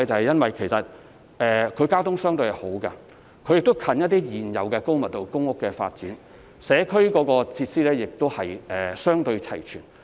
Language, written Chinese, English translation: Cantonese, 因為這些寮屋區的交通相對較為方便，並且鄰近一些高密度的公營房屋發展項目，而社區設施亦相對齊全。, It is because the transportation in these squatter areas is relatively more convenient and they are located near some high - density public housing developments with relatively more comprehensive community facilities